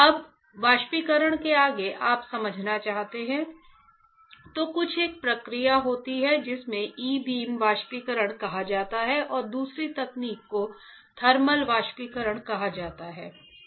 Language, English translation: Hindi, Now in evaporation further you want to understand, then there is some there is a process called e beam evaporation and another technique is called thermal evaporation